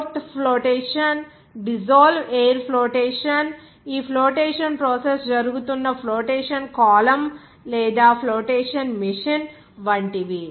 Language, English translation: Telugu, Like froth flotation, Dissolve air flotation, some flotation column or flotation machine where this flotation process is being done